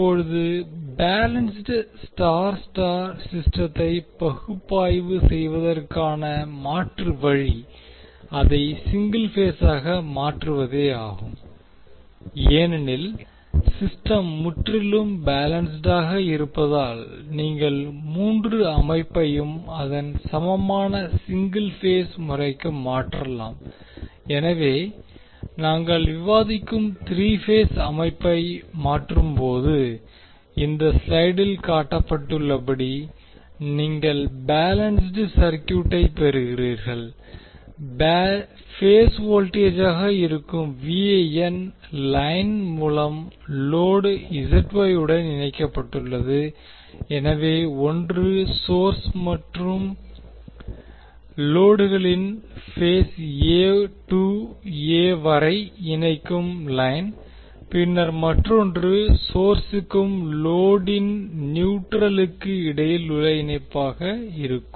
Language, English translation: Tamil, Now alternative way of analyzing the balance star star system is to convert it into per phase because the system is completely balanced you can convert the three system to its equivalent single phase system, so when you convert the three phase system which we are discussing then you get the equivalent circuit as shown in this slide here the VAN that is phase voltage is connected to the load ZY through the line, so one is line connecting between phase A to A of the source and load and then another line is for connection between neutral of the source and load